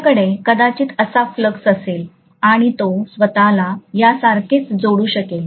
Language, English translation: Marathi, I am probably going to have a flux like this and it can just link itself like this, right